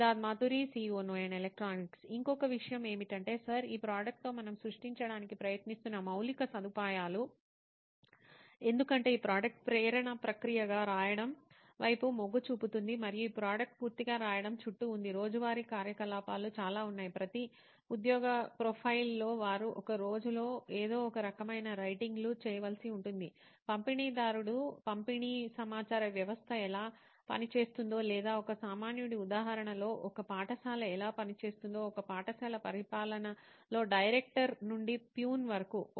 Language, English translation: Telugu, Another thing would be Sir is the infrastructure what we are trying to create with this product, since this product is inclined towards writing as the process as a soul process and this product is completely around writing, there are lot of day to day activities probably maybe every job profile would be having where they are supposed to do some sort of writing in a day, like a distributor how a distributed information system works or maybe how a school in a layman’s example how a school administration works taking down from a director of the school till the peon